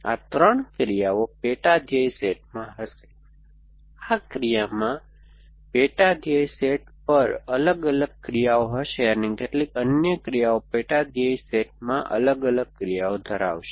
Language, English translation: Gujarati, These three actions would be in the sub goal set, this action will have different actions at the sub goal set, some other actions will have different actions in the sub goal set